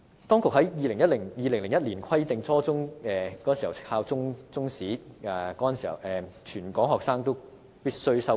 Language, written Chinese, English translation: Cantonese, 當局在2001年規定初中必須教授中史，全港學生均須修讀。, In 2001 the authorities made it a requirement that Chinese history must be taught at junior secondary level and all students in Hong Kong must study it